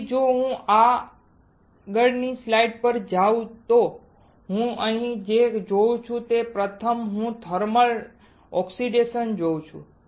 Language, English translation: Gujarati, So, if I go to the next slide what I see here is first is I see a thermal oxidation